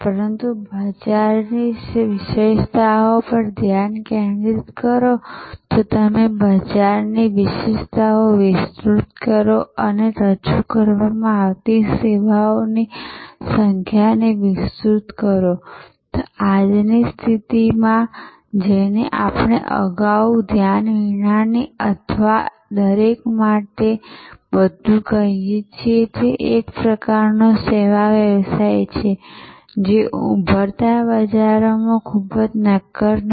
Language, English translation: Gujarati, But, remain focused on the market characteristics, but if you widen the market characteristics and widen the number of services offered, in today’s condition what we called earlier unfocused or everything for everyone is a kind of service business, not very tenable in emerging markets